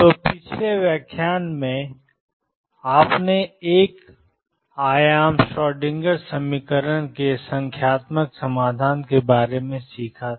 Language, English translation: Hindi, So, in the previous lecture you had learnt about Numerical Solution of one dimensional Schrodinger equation